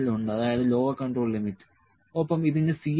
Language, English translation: Malayalam, L that is Lower Control Limit and it has C